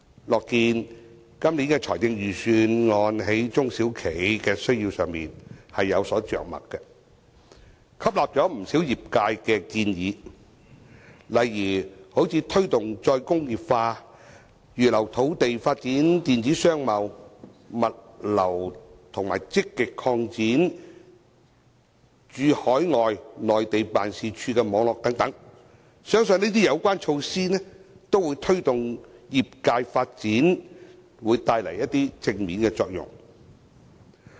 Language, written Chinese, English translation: Cantonese, 樂見本年的財政預算案在中小企的需要上有所着墨，吸納不少業界建議，例如推動再工業化、預留土地發展電子商貿、物流，以及積極擴展駐海外及內地辦事處的網絡等，相信這些相關措施都會在推動業界發展方面帶來一些正面作用。, I am glad to see that Budget this year covers the needs of SMEs and incorporates a number of suggestions from the sector . There are initiatives to drive re - industrialization reserve land for the development of e - commerce and logistics services and actively expand the network of our offices overseas and in the Mainland . I believe that these measures will bring some positive effects in promoting the development of the sector